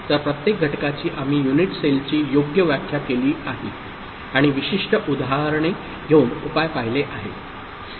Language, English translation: Marathi, So, each of the cases we have defined the unit cell properly and looked at the solution by taking specific examples